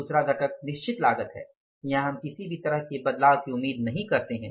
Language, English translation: Hindi, Second component is a fixed cost, they would not expect any kind of the variances